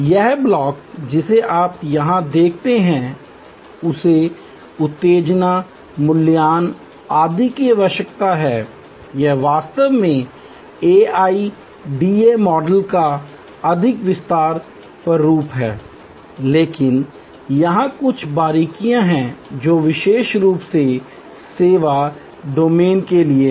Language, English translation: Hindi, This block that you see here need arousal, evaluation, etc, it is actually a more expanded format of the AIDA model, but there are some nuances here which are particular to the services domain